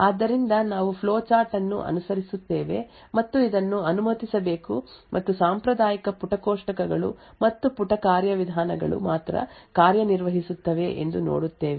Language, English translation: Kannada, So, we will follow the flowchart and see that this should be permitted and only the traditional page tables and page mechanisms would work